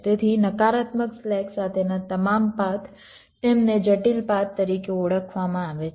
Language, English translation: Gujarati, so all paths with a negative slack, they are refer to as critical paths